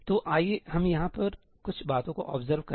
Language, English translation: Hindi, let us just observe a few things over here